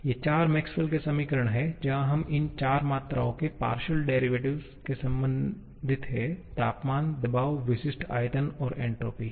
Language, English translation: Hindi, These are the 4 Maxwell's equations where we are relating the partial derivatives of these 4 quantity; temperature, pressure, specific volume and entropy